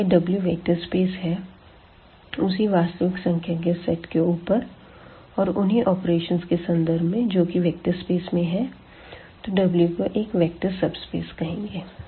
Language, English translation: Hindi, If this W itself is a vector space over the same the set of these real numbers with respect to the same operations what we are done in the vector space V then this W is called a vector subspace